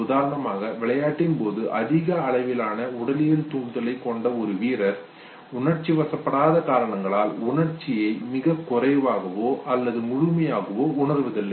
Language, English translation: Tamil, For instance, a player with high level of physiological arousal during the game perceives very little or no emotion, this is because arousal is primarily, because of non emotional reasons know